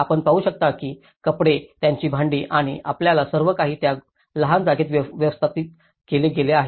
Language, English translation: Marathi, You can see that the clothes, their utensils you know and this everything has been managed within that small space